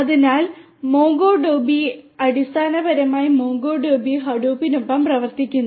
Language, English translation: Malayalam, So, MongoDB basically works hand in hand with MongoDB works with Hadoop